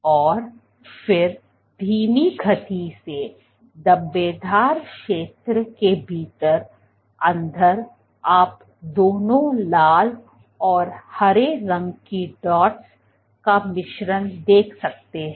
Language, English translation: Hindi, and then inside within the slow speckle zone you have mixture of both red and green dots